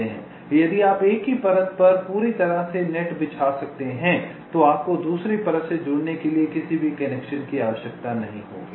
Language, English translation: Hindi, if you can lay a net entirely on the same layer, you will not need any via connection for connecting to the other layer